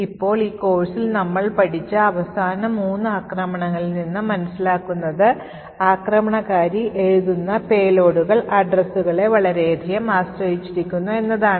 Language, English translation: Malayalam, Now, from the last three attacks we have studied in this course what we do understand is that the payloads that the attacker writes, is highly dependent on the addresses